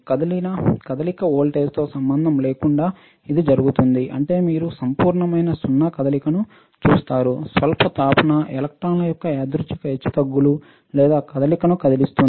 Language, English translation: Telugu, It happens regardless of any apply voltage that means, that you see motion at absolute is zero, slight heating will cause a random fluctuation or motion of the electrons